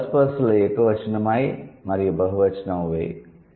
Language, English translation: Telugu, In the first person the singular is I and the plural is we